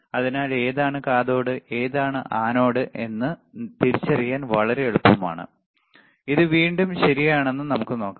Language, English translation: Malayalam, So, the is very easy to identify which is anode which is cathode again once again let us see this is the, right